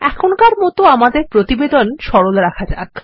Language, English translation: Bengali, For now, let us keep our report simple